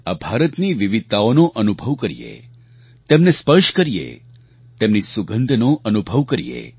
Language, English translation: Gujarati, We should feel India's diversity, touch it, feel its fragrance